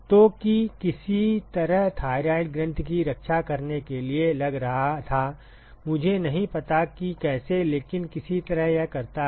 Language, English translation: Hindi, So, that somehow seemed to protect the thyroid gland, I do not know how, but somehow it does